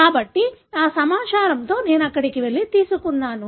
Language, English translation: Telugu, So, then with that information I go there and pick up